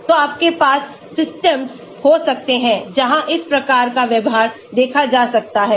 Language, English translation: Hindi, So, you can have systems where this type of behavior may be observed